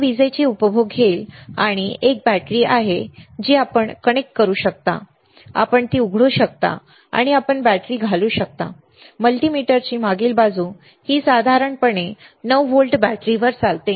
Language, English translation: Marathi, It will consume the power there is a battery here you can connect, you can open it and you can insert the battery, and the back side of the multimeter this operates on the generally 9 volt battery